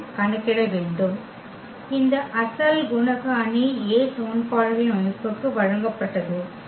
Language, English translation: Tamil, We have to compute the; this original coefficient matrix A which was given for the system of equations